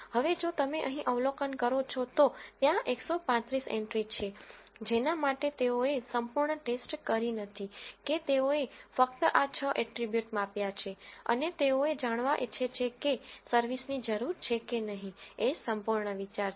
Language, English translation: Gujarati, Now, if you observe here, there are 135 entries for which they have not thoroughly checked they just measured this 6 quantities and they want to figure out whether service is needed or not using the knn algorithm that is the whole idea